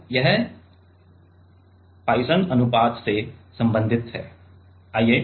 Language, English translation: Hindi, So, this is related by Poisson ratio related by Poisson ratio Poisson